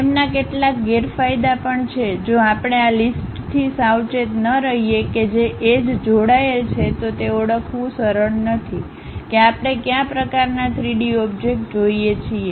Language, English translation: Gujarati, They have certain disadvantages also, if we are not careful with this list which edges are connected with each other, it is not so, easy to identify what kind of 3D object we are looking at